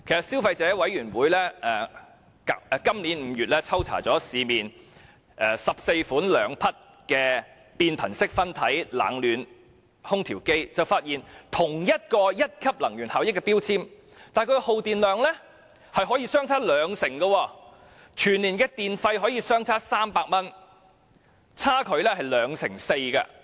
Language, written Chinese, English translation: Cantonese, 消費者委員會在今年5月抽查了市面14款兩匹變頻式分體冷暖空調機，結果發現即使屬於同一級能源標籤，但耗電量卻可以相差兩成，全年電費相差高達300元，差距是 24%。, The Consumer Council conducted a random test on 14 models of 2 HP inverter split - type air conditioners in May this year . It was found that though all air conditioners had Grade 1 energy label the difference in energy consumption could be as much as 20 % and difference in electricity charge each year could be as much as 300 ie . 24 %